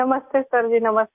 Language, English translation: Hindi, Namaste Sir Ji, Namaste